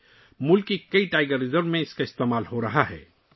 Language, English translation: Urdu, It is being used in many Tiger Reserves of the country